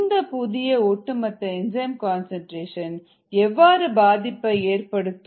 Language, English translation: Tamil, but what does total enzyme concentration affect